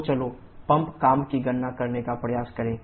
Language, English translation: Hindi, And similarly the pump work we can easily calculate